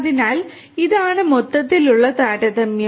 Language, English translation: Malayalam, So, this is this overall comparison